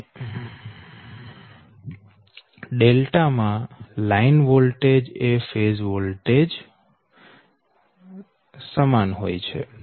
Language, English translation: Gujarati, and for the delta delta case, line voltage and phase voltage both are same